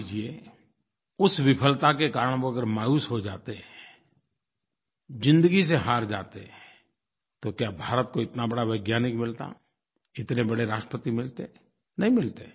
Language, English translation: Hindi, Now suppose that this failure had caused him to become dejected, to concede defeat in his life, then would India have found such a great scientist and such a glorious President